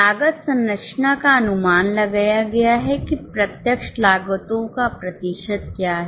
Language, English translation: Hindi, Cost structure has been estimated that what is a percentage of direct costs